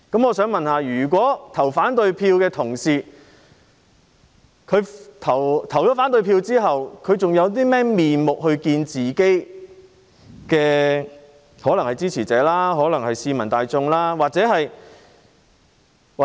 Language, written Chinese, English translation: Cantonese, 我想問，打算投反對票的同事，投票後還有何顏面見自己的支持者或市民大眾？, May I ask Honourable colleagues who intend to cast a negative vote will they still have the face to meet their supporters or the general public after casting such a vote?